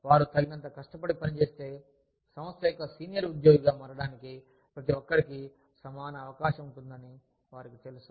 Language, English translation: Telugu, They know that, if they work hard enough, everybody could have an equal chance, of becoming a senior employee, of the organization